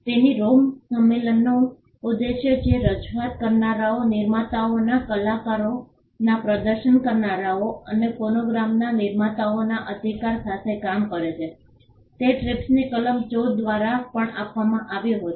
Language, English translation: Gujarati, So, the gist of the Rome convention which dealt with protection of performers, producers, rights of performers and producers of phonograms was also brought in through Article 14 of the TRIPS